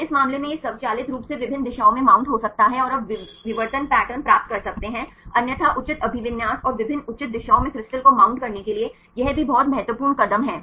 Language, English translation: Hindi, So, in this case it can automatically mount at different directions and you can get the diffraction pattern otherwise this is also very important step to mount the crystals in proper orientation and different proper directions